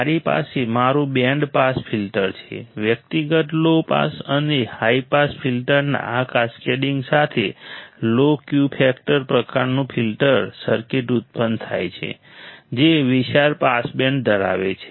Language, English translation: Gujarati, I have my band pass filter, with this cascading together of individual low pass and high pass filters produces a low Q factor type filter circuit, which has a wide pass band which has a wide pass band